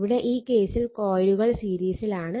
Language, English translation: Malayalam, So, now 2 coils are in series